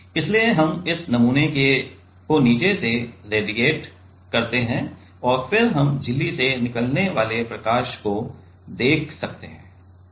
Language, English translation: Hindi, So, we radiate this sample from the bottom and then we can see the light coming out of the membrane